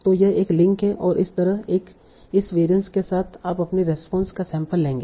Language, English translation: Hindi, So this will be your mean and with this variance you will sample your response